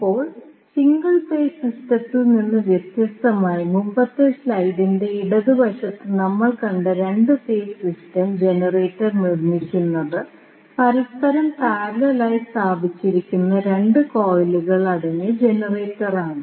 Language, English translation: Malayalam, Now, as distinct from the single phase system, the 2 phase system which we saw in the left side of the previous slide is produced by generator consisting of 2 coils placed perpendicular to each other